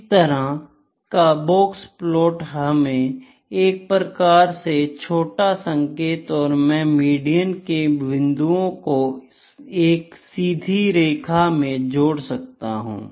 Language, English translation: Hindi, So, this kind of box plot can give you rough indication even I can draw a can join the median points here straight lines